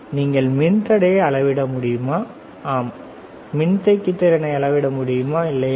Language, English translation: Tamil, Can you measure resistance, yes capacitance yes, right